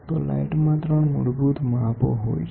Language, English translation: Gujarati, So, in light, there are 3 basic dimensions of light